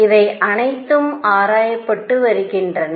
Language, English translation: Tamil, These are all being investigated and so on